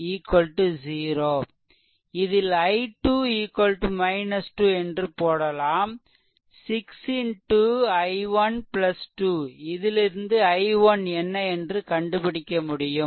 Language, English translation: Tamil, If you put i 2 is equal to minus 2 here, it will be 6 into i 1 plus 2 and from that you can solve it what is i 1 right